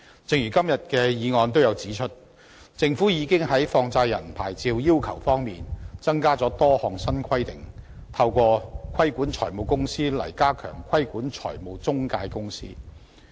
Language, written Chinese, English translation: Cantonese, 正如今天議案也有指出，政府已在放債人牌照要求上增加了多項新規定，透過規管財務公司來加強規管中介公司。, As pointed out in the motion today the Government has imposed a number of new requirements on money lender licences and stepped up the regulation of intermediaries through the regulation of finance companies